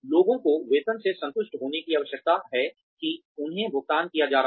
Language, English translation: Hindi, People need to be satisfied with the salaries, that they are being paid